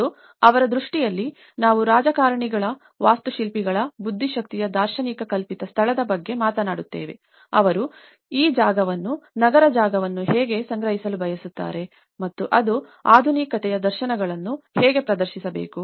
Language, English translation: Kannada, And his vision like that is where we talk about a conceived space of the visionaries of the politicians, of the architects, of the intellect, how they want to perceive this space, the urban space and how it has to showcase the visions of modernity